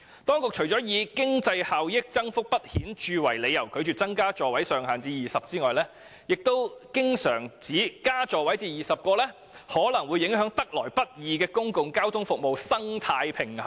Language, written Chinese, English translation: Cantonese, 當局除了以經濟效益增幅不顯著為理由，拒絕把座位上限增至20個外，還經常指把座位數目增至20個可能會影響得來不易的公共交通服務生態平衡。, Apart from citing the reason that increasing the maximum seating capacity of light buses to 20 will not produce any significant economic benefit the authorities often pointed out that such an increase will disrupt the delicate balance of the public transport trades